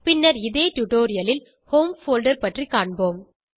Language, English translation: Tamil, We will see later in this tutorial what the Home folder is